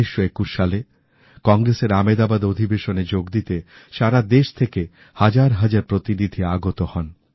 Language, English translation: Bengali, In 1921, in the Congress Session in Ahmedabad, thousands of delegates from across the country were slated to participate